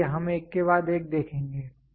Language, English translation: Hindi, So, we will see that one after the other